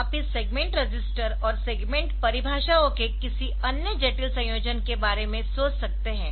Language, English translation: Hindi, And you can think about any other complex combination of this segment register, and the segment definitions